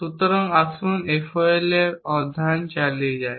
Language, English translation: Bengali, So, let us continue with the study of FOL